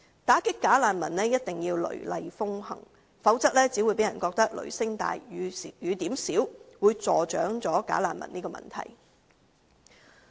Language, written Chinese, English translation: Cantonese, 打擊"假難民"一定要雷厲風行，否則只會讓人覺得"雷聲大、雨點少"，助長"假難民"的問題。, Otherwise it will only give people the impression that there is all thunder but no rain thus encouraging the persistence of the problem of bogus refugees